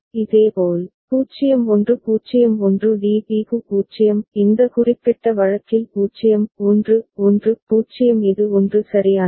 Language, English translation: Tamil, Similarly, for 0 1 0 1 DB is 0; this way you continue when 0 1 1 0 for this particular case this is 1 right